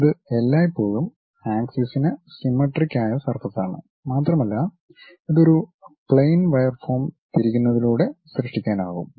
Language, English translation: Malayalam, This always be axisymmetric surface and it can be generated by rotating a plain wire form